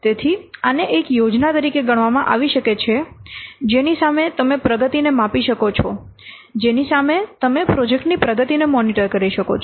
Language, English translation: Gujarati, So, this can be treated as a plan against which you can measure the progress of the project against which you can monitor the progress of the project